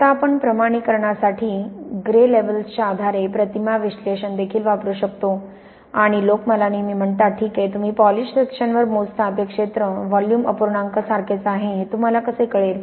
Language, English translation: Marathi, Now we can also use image analysis based on gray levels for quantification and all time people say to me “well, how do you know that the area you measure on a poly section is the same as the volume fraction